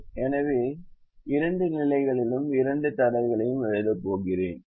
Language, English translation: Tamil, so i am going to write the two constraints in these two positions